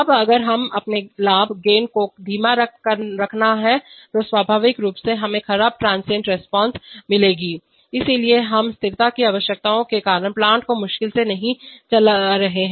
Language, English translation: Hindi, Now if we have to keep our gain slower, naturally we will get poor transient response, so we are not driving the plant hard because of stability requirements, right